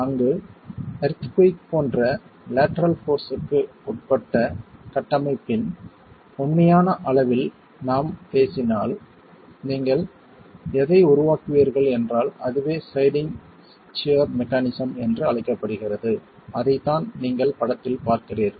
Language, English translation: Tamil, There we were talking of in the real scale of a structure subjected to lateral forces like an earthquake, you would have the formation of what is called sliding shear mechanism and that is what you see in the picture there